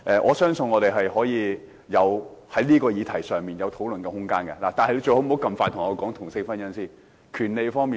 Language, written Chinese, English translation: Cantonese, 我相信我們在這個議題上有討論的空間，但他最好不要這麼快向我提出同性婚姻合化法。, I think there is room for discussion on this issue . But he had better not propose the legalization of same - sex marriage to me so soon